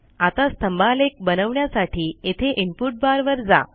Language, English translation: Marathi, Now to create the histogram , go to the input bar here